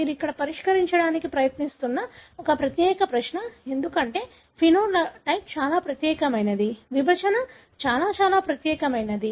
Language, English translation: Telugu, That’s one particular question you are trying to address here, because the phenotype is very, very unique; the segregation is rather very, very unique